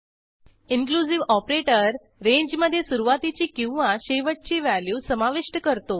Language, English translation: Marathi, Inclusive operator includes both begin and end values in a range